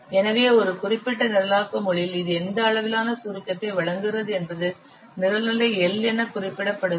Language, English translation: Tamil, So a particular programming language, what is the level of abstraction it provides that is represented as program level L